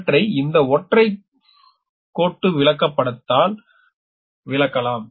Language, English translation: Tamil, and this is that your single line diagram